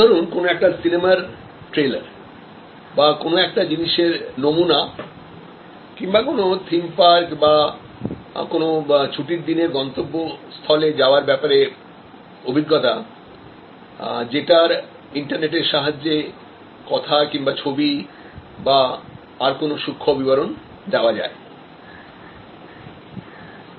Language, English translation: Bengali, So, it is like a trailer of a movie or a sample or test to write or a visit to a new theme park or holiday destination through internet based sharing of experiences through audio, video discloser of finer points and so on